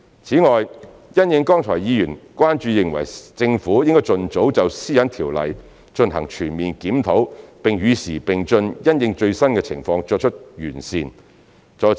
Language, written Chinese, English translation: Cantonese, 此外，因應剛才議員的關注，認為政府應該盡早就《個人資料條例》進行全面檢討，並與時並進，因應最新的情況作出完善。, Moreover in response to Members concerns earlier that the Government should conduct a comprehensive review of the Personal Data Privacy Ordinance PDPO as soon as possible and keep abreast of the latest developments